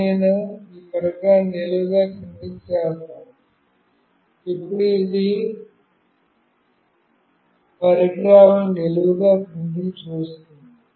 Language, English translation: Telugu, Now, I will make this device vertically down, now this is showing that the devices vertically down